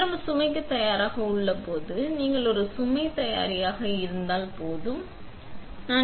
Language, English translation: Tamil, You know when the machine is ready for load and started up when if the information says ready for a load